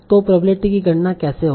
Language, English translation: Hindi, So how will if you find out this probability